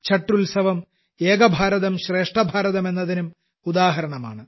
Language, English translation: Malayalam, The festival of Chhath is also an example of 'Ek Bharat Shrestha Bharat'